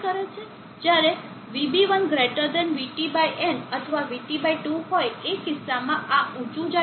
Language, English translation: Gujarati, When Vb1 > Vt/n or Vt/2 in this case, this goes high